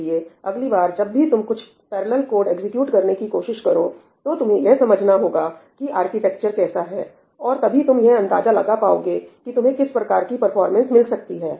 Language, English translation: Hindi, So, next time when you are trying to execute some parallel code, you should understand what the underlying architecture is, only then you will be able to figure out that what kind of performance gains you are going to get